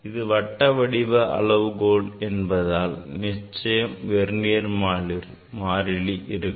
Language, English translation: Tamil, Now, here there is a scale circular scale there is a Vernier